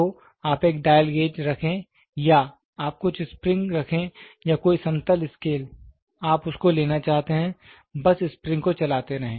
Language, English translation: Hindi, So, you put a dial gauge or you try to have some spring or some even scale, you try to take it just keep the move the spring